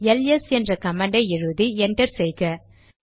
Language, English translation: Tamil, Type the command ls and press enter